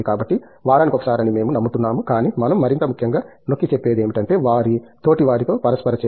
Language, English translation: Telugu, So, we believe once in a week is something, but what we stress on more importantly is their peer interaction